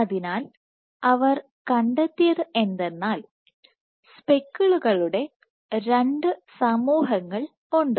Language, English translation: Malayalam, So, what they found was there exist two populations of speckles